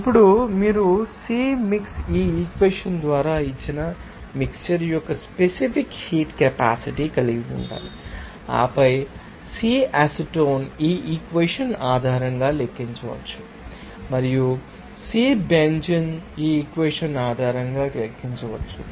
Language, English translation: Telugu, Now, you have to then calculate the Cp,mix, has specific heat capacity of the mixture then given by this equation here, and then Cp,acetone can be calculated based on this equation and Cp,benzene can be calculated based on this equation